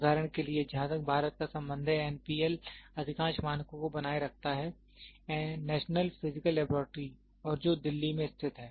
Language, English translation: Hindi, For example, as far as India is concerned, NPL maintains most of the standards, National Physical Laboratory and which is located at Delhi